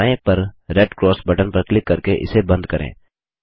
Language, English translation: Hindi, Lets close this by clicking on the Red Cross button on the top left